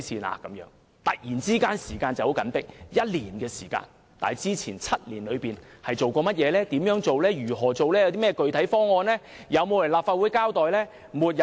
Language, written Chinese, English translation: Cantonese, 短短1年時間，政府突然說時間十分緊迫，但之前7年沒有採取行動，沒有提出具體方案，沒有前來立法會交代。, With merely one year left the Government unexpectedly said that time was pressing; while in the previous seven years it failed to take any moves present any specific proposal or come to the Legislative Council to give an account